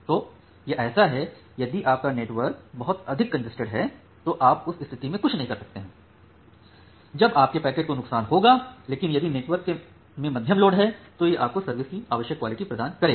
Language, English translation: Hindi, So, it is like that, if your network is too congested you cannot do anything in that case your packets will suffer, but if the network has a medium load, then it will provide you the required quality of service